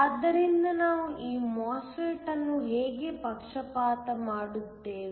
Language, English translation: Kannada, So, how do we bias this MOSFET